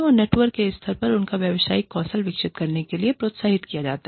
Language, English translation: Hindi, And, at the level of the network, they are encouraged to keep developing, their professional skills